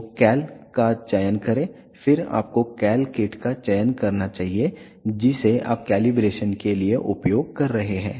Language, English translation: Hindi, So, select cal then you should selected cal kit that you are using for the calibration